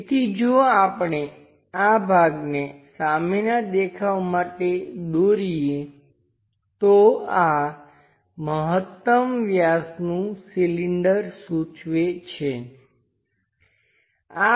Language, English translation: Gujarati, So, if we are drawing this portion for the front view indicates this maximum diameter cylinder